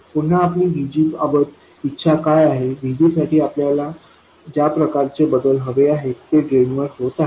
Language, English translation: Marathi, Again, what we desire for VG, the kind of variation we want for VG is happening at the drain